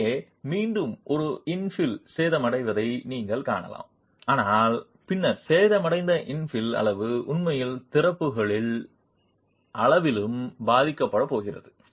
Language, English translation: Tamil, Here again you can see that an infill is damaged but then the size of the infill that is damaged is actually going to be affected by the size of openings as well